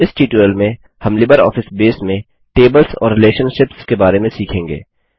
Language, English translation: Hindi, In this tutorial, we will cover Tables and Relationships in LibreOffice Base